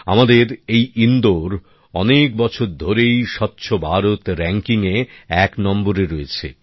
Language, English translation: Bengali, Our Indore has remained at number one in 'Swachh Bharat Ranking' for many years